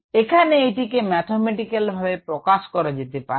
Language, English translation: Bengali, ok, there is a way of mathematically representing this